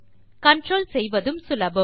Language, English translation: Tamil, Its easier to control